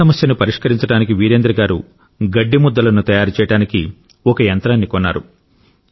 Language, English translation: Telugu, To find a solution to stubble, Virendra ji bought a Straw Baler machine to make bundles of straw